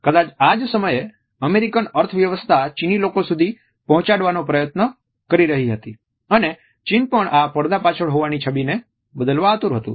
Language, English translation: Gujarati, It was perhaps around this time that the US economy was trying to reach the Chinese people and China also was eager to shut this image of being a country behind in iron curtain